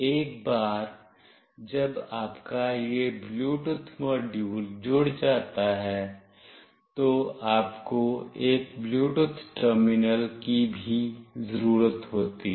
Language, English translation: Hindi, Once you have this Bluetooth module connected, you also need a Bluetooth terminal